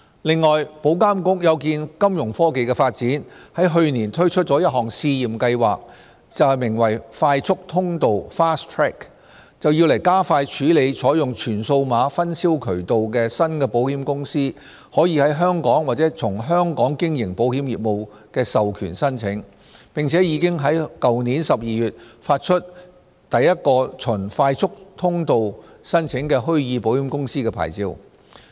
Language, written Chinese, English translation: Cantonese, 此外，保監局有見金融科技的發展，在去年推出一項試驗計劃，名為"快速通道"，加快處理採用全數碼分銷渠道的新保險公司在香港或從香港經營保險業務的授權申請，並已在去年12月發出首個循"快速通道"申請的虛擬保險公司牌照。, The development of Fintech has also prompted IA to launch a pilot project called Fast Track last year to expedite the processing of applications for authorization to carry on insurance business in or from Hong Kong from insurers adopting solely digital distribution channels . IA authorized the first virtual insurer under Fast Track in December last year